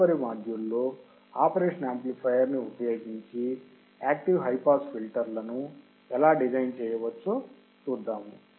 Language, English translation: Telugu, In the next module, let us see how we can design the high pass active filters using the operation amplifier